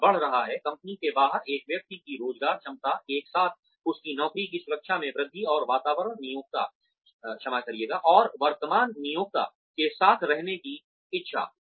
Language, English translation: Hindi, s employability, outside the company, simultaneously, increasing his or her job security, and desire to stay with the current employer